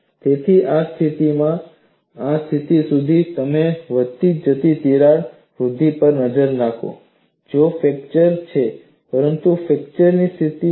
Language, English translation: Gujarati, So, from this position to this position, if you look at the incremental crack growth, it is fracture, but the fracture is stable